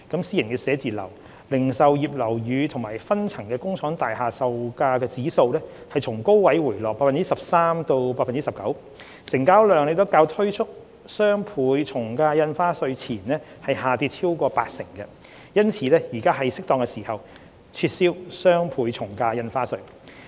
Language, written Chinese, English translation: Cantonese, 私人寫字樓、零售業樓宇及分層工廠大廈售價指數從高位回落 13% 至 19%； 成交量亦較推出雙倍從價印花稅前下跌超過八成，因此，現時是適當時候撤銷雙倍從價印花稅。, The price indices for private office retail and flatted factory space have declined from a peak by 13 % to 19 % . The transaction volumes have also dropped by more than 80 % when compared with those before the implementation of DSD . Therefore it is now the appropriate time to abolish DSD